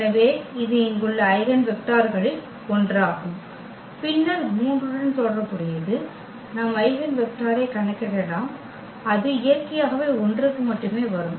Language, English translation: Tamil, So, this is one of the eigenvectors here and then corresponding to 3 also we can compute the eigenvector and that is naturally it will come 1 only